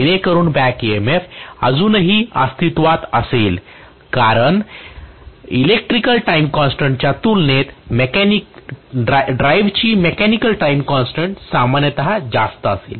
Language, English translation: Marathi, So that back EMF would still exists because the mechanical time constant of the drive will be generally larger as compared to the electrical time constant